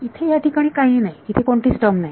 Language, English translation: Marathi, There is nothing over here there is no term over here